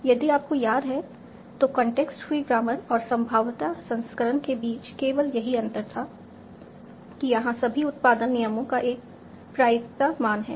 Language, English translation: Hindi, If you remember this was the only difference between contextual grammar and the probabilistic version is that all the production rules here have a probability value